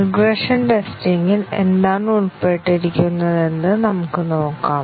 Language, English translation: Malayalam, Let us see, what is involved in regression testing